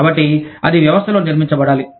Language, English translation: Telugu, So, that has to be built in the system